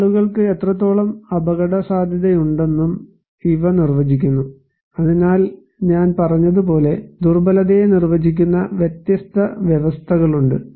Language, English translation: Malayalam, So, these also define that what extent people are at risk, so as I said that, there are different conditions that define the vulnerability